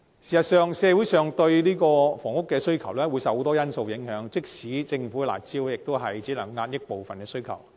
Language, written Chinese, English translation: Cantonese, 事實上，社會對房屋的需求受眾多因素影響，即使是政府的"辣招"，也只能遏抑部分需求。, In fact housing demand from the community is determined by numerous factors . Even the curb measures introduced by the Government can only partially suppress the demand